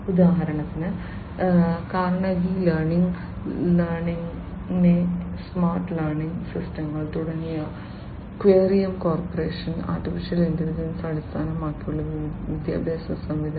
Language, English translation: Malayalam, So for example, the smart learning systems by Carnegie Learning, then Querium Corporation AI based education system